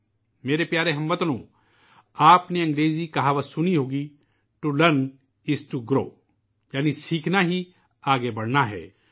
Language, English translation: Urdu, My dear countrymen, you must have heard of an English adage "To learn is to grow" that is to learn is to progress